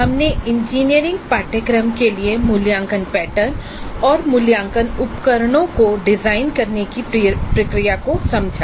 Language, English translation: Hindi, We understood the process of designing assessment pattern and assessment instruments for an engineering course